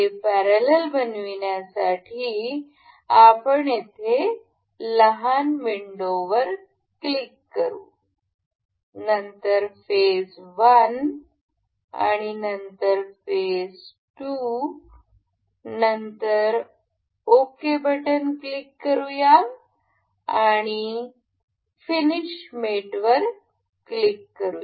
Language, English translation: Marathi, To make this parallel we will click on the small window here, then the phase 1 and then the phase 2, we click on ok, finish mate